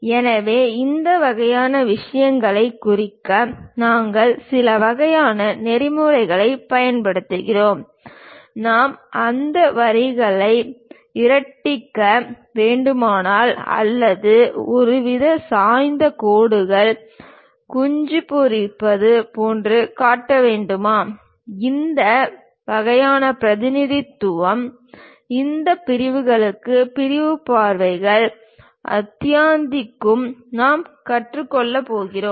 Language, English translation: Tamil, So, to represent this kind of things, we use certain kind of protocols; whether we should really darken those lines or show some kind of inclined lines, hatching and so on; this kind of representation what we will learn for this sections and sectional views chapter